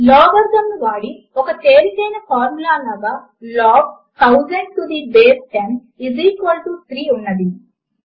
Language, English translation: Telugu, A simple formula using logarithm is Log 1000 to the base 10 is equal to 3